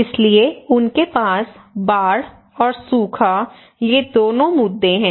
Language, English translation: Hindi, So they have both issues of flood and drought